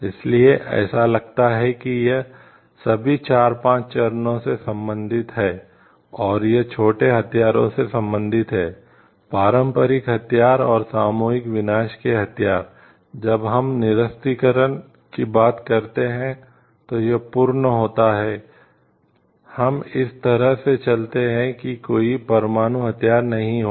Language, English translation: Hindi, So, it has like it relates to all the four five stages and, it relate to small arms conventional weapons and weapons of mass destruction, when we talk of disarmament it is complete like, we go for like this there will be no nuclear weapon